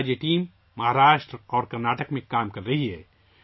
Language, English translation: Urdu, Today this team is working in Maharashtra and Karnataka